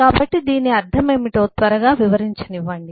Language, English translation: Telugu, so let me just quickly explain what these mean